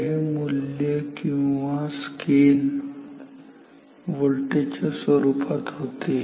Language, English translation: Marathi, So, this is the value or scale in terms of voltage